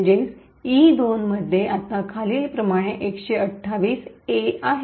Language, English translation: Marathi, Therefore, E2 now contains 128 A’s as follows